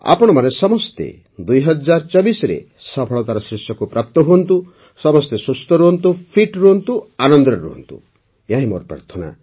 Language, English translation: Odia, May you all reach new heights of success in 2024, may you all stay healthy, stay fit, stay immensely happy this is my prayer